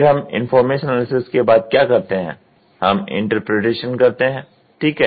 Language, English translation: Hindi, Then what we do from then information analysis we do interpretation, ok